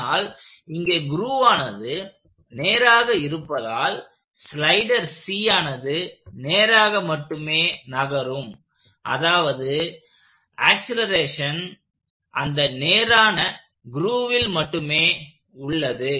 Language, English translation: Tamil, But since the grove is just a straight grove, the slider C is constrained to move on a straight grove which also means that the acceleration is only along that straight grove